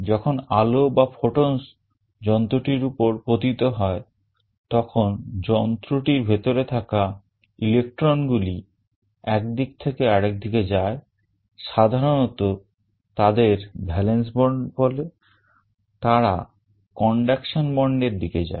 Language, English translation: Bengali, When light or photons fall on the device the electrons inside the device move from one state to the other, typically they are called valence band, they move to the conduction band